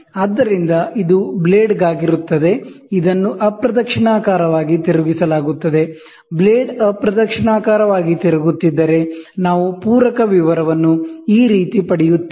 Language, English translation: Kannada, So, this is for a blade, which is turned in counter clockwise direction; if the blade rotates in the counter clockwise direction, so this is how we get the supplement detail